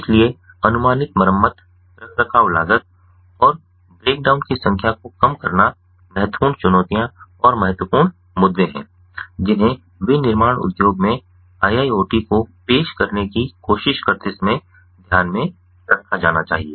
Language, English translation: Hindi, so predictive maintenance savings on scheduled repairs, reduced cost maintenance costs and reduced number of break downs are important challenges, ah, ah, ah and important issues that have to be taken into consideration while trying to ah, ah to to introduce iiot in the manufacturing industry